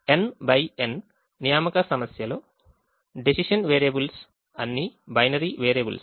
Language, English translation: Telugu, in a n by n assignment problem, all the decision variables are binary variables